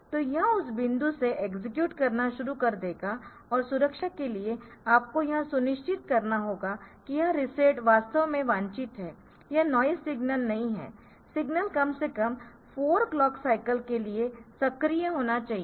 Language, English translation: Hindi, So, it will start executing from that point and for the sake of see for the sake of security you have to make sure that this reset is really desired it is not a noise signal the signal must be active high for this 4 clock cycles